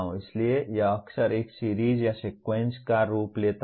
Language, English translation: Hindi, So it often takes the form of a series or sequence of steps to be followed